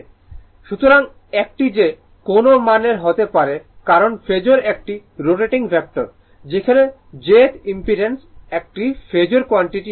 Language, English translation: Bengali, So, it can be any value because phasor is a rotating vector right where jth impedance is not a phasor quantity it is s complex quantity right